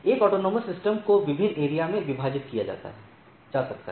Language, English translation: Hindi, So, an AS can be divided into different areas